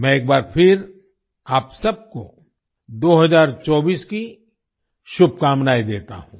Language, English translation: Hindi, Once again, I wish you all a very happy 2024